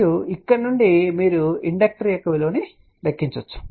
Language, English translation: Telugu, And from here you can calculate the value of inductor which is given by this